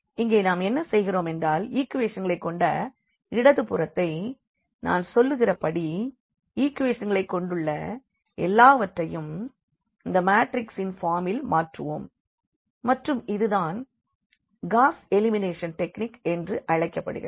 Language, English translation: Tamil, So, here what we do now that the left hand side with the equations as I said also everything with the equation and then we will translate into the form of this matrix and so called the Gauss elimination technique